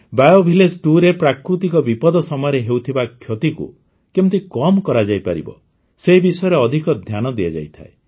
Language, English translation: Odia, BioVillage 2 emphasizes how to minimize the damage caused by natural disasters